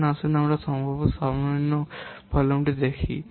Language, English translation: Bengali, Now let's see potential minimum volume